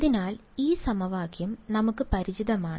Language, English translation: Malayalam, So, this equation we are familiar with